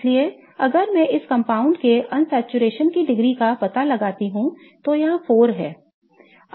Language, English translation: Hindi, So, if I figure out the degree of unsaturation for this compound it comes out to be 4 right